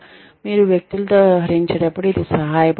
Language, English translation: Telugu, It helps, when you are dealing with people